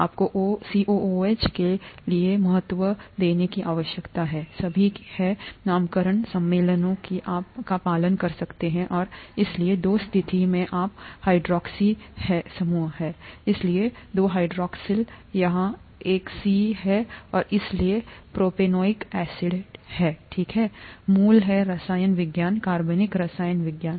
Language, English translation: Hindi, And from the structure you could write this is number one, number two, number three and now you need to give importance for COOH its all the naming conventions that you could follow and so at the two position you have hydroxy group, therefore two hydroxyl, this is a C3, and therefore propanoic acid, okay, basic chemistry, organic chemistry